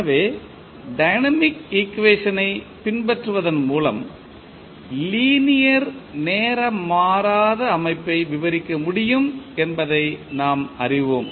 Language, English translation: Tamil, So, we know that the linear time invariant system can be described by following the dynamic equation